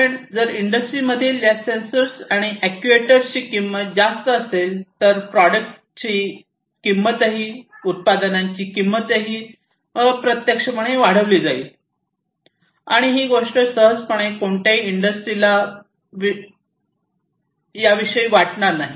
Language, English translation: Marathi, Because if the cost of these sensors and actuators in the industries are going to be higher, then the cost of the products are also indirectly going to be increased and that is not something that any of the industries would readily want to have